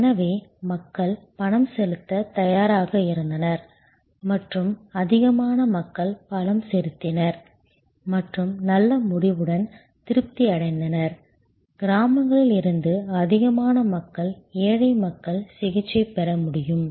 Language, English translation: Tamil, So, people were willing to pay and more people paid and were satisfied with good result, more people from villages, poor people could be treated